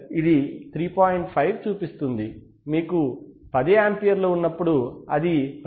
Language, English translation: Telugu, 5, when you have 10 amperes it shows 10